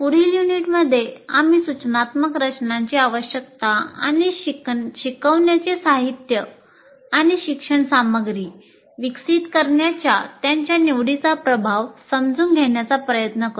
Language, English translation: Marathi, And in the next unit, we will try to understand the need for instruction design and the influence of its choice and developing the instruction material and learning material